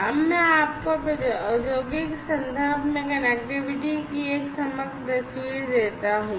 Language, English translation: Hindi, So, let me now give you a holistic picture of connectivity in the industrial context